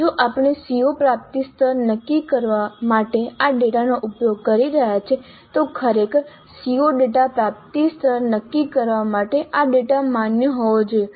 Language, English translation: Gujarati, If we are using this data to determine the COO attainment levels, really this data must be valid for determining the CO attainment level